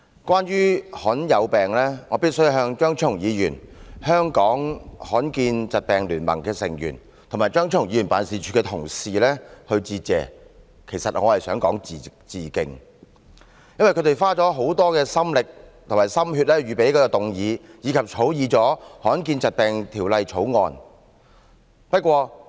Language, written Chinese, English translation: Cantonese, 關於罕見疾病，我必須向張超雄議員、香港罕見疾病聯盟的成員及張超雄議員辦事處的同事致謝，其實是致敬才對。因為他們花了很多心力和心血預備這項議案，以及草擬了《罕見疾病條例草案》。, When it comes to the issue of rare diseases I must express my appreciation―or rather my respect―to Dr Fernando CHEUNG members of the Hong Kong Alliance for Rare Diseases and colleagues in Dr Fernando CHEUNGs office as they have put in a great deal of effort to prepare this motion and draft the Rare Diseases Bill